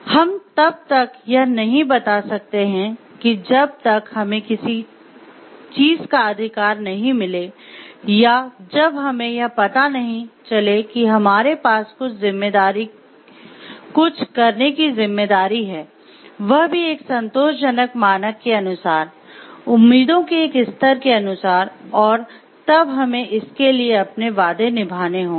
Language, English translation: Hindi, We cannot just tell like we have rights for something until and unless we also realize that we have the responsibility of performing something, according to the satisfactory standard, according to the level of expectations and we have to keep our promises for it